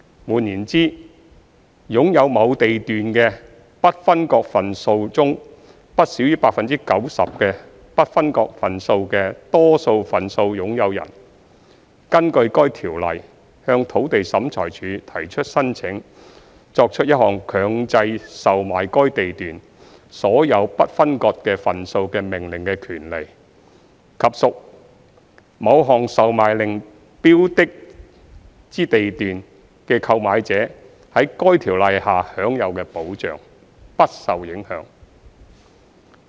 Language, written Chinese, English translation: Cantonese, 換言之，擁有某地段的不分割份數中不少於 90% 的不分割份數的多數份數擁有人，根據該條例向土地審裁處提出申請作出一項強制售賣該地段所有不分割份數的命令的權利，以及屬某項售賣令標的之地段的購買者在該條例下享有的保障，不受影響。, In other words the right of a majority owner to make an application to the Lands Tribunal for an order for the compulsory sale of all of the undivided shares in the lot for the purposes of redevelopment as well as the protection of purchaser of a lot the subject of an order for sale under LCSRO would not be affected